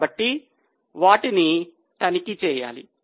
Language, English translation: Telugu, So, they need to be checked